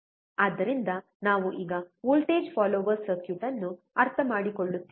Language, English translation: Kannada, So, we are now understanding the voltage follower circuit